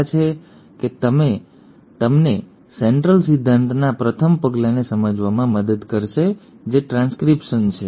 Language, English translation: Gujarati, Hopefully this has helped you understand the first step in Central dogma which is transcription